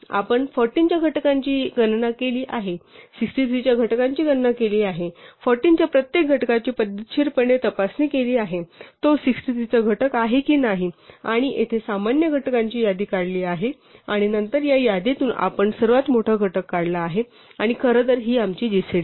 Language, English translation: Marathi, We have computed the factors of 14, computed the factors of 63, systematically checked for every factor of 14, whether it is also a factor of 63 and computed the list of common factors here and then from this list we have extracted the largest one and this in fact, is our gcd